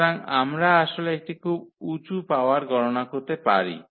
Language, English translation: Bengali, So, we can actually compute a very high power